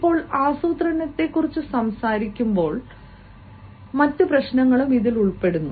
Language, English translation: Malayalam, again, when we talk about planning, there are other issues also involved